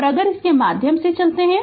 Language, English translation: Hindi, So, if you go through this